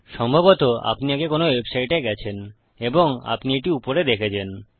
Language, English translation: Bengali, I mean you have probably been in a website before and you have seen this at the top